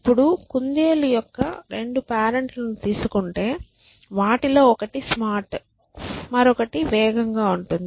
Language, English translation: Telugu, Now, imagine 2 parents of a rabbit; one of them is smart and the other one is fast essentially